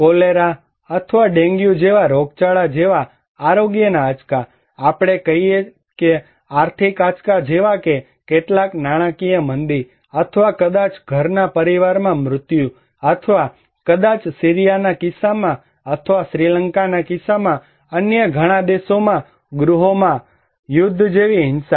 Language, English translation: Gujarati, And health shocks like epidemic like cholera or even dengue let us say, or economic shocks like some financial recessions or maybe death in the family for a household or maybe violence like civil war in case of Syria or in many other countries in case of Sri Lanka when they were in civil war or in case of Bosnia